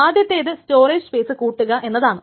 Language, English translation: Malayalam, So first thing is that it requires increased storage space